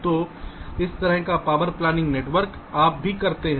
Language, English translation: Hindi, ok, so this kind of a power planning network also you do